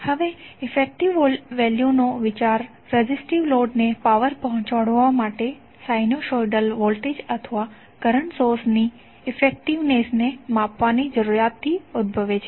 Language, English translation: Gujarati, Now the idea of effective value arises from the need to measure the effectiveness of a sinusoidal voltage or current source and delivering power to a resistive load